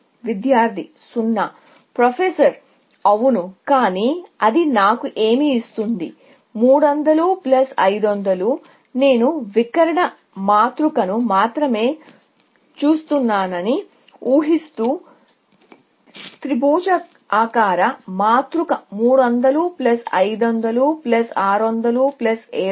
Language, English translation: Telugu, Yes, but that would give me what; 300 plus 500, even assuming that I will look at only the diagonal matrix, I mean, triangular matrix; 300 plus 500 plus 600 plus 700